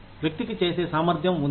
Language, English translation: Telugu, The person has the capacity to do it